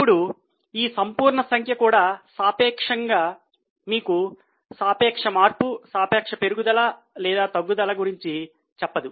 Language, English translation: Telugu, Now even this absolute figure doesn't tell you about what is relatively relative change, relative increase or decrease